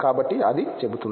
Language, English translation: Telugu, So, that it tells